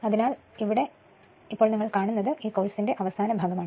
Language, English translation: Malayalam, Ok so this is that last part of this course right